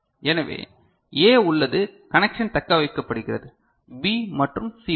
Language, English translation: Tamil, So, A is there connection is retained, B and C bar